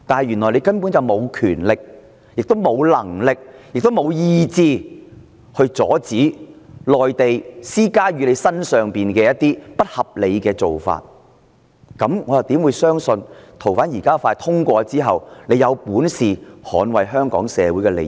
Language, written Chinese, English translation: Cantonese, 原來她根本沒有權力，亦沒有能力及意志阻止內地施加在她身上的不合理做法，這樣我怎會相信修訂建議獲通過後，她有本事捍衞香港社會的利益？, But if she actually has no authority ability or will power to stop any unreasonable requests from the Mainland how am I going to believe that she will have to capability to defend the interests of Hong Kong people after the legislative amendment is passed?